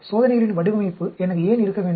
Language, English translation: Tamil, Why should I have a design of experiments